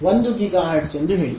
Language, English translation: Kannada, About say 1 gigahertz